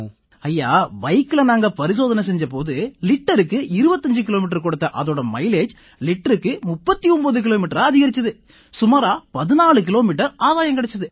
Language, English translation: Tamil, Sir, we tested the mileage on the motorcycle, and increased its mileage from 25 Kilometers per liter to 39 Kilometers per liter, that is there was a gain of about 14 kilometers… And 40 percent carbon emissions were reduced